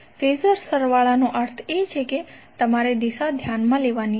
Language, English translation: Gujarati, Phasor sum means you have to consider the direction